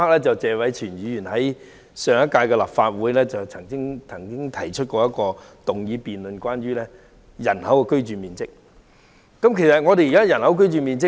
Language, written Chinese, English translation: Cantonese, 謝偉銓議員在上屆立法會會議上，曾經提出一項有關人均居住面積的議案辯論，令我印象很深刻。, In the last term of the Legislative Council Mr Tony TSE moved a motion concerning the average living space per person the debate of which impressed me